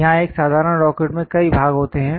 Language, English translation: Hindi, Here a simple rocket consists of many parts